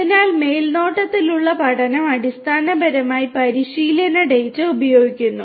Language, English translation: Malayalam, So, supervised learning basically uses training data